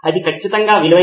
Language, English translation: Telugu, That is one thing for sure